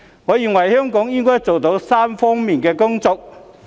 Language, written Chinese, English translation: Cantonese, 我認為香港應該做好3方面的工作。, In my opinion Hong Kong should excel itself in three aspects